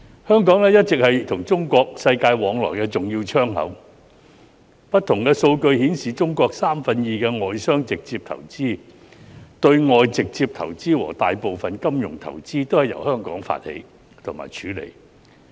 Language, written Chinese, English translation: Cantonese, 香港一直是中國與世界往來的重要窗口，不同數據顯示，中國約有三分之二的外商直接投資、對外直接投資和大部分金融投資均由香港發起及處理。, Hong Kong has always been an important window for Chinas dealings with the world . Various figures show that about two thirds of Chinas foreign direct investment and external direct investment as well as most of its financial investment were originated and handled in Hong Kong